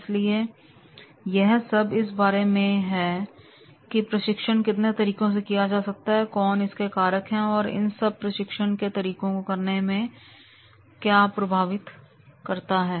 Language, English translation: Hindi, So, this is all about that is the how the training methods are to be the factors which affect the exercising of the training methods